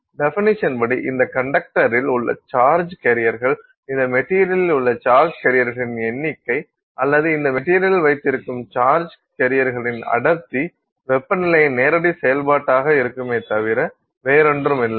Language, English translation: Tamil, So, by definition this means the charge carriers present in this conductor, the number of charge carriers that you have in this material or the density of charge carriers that you have in this material will be a direct function of the temperature and nothing else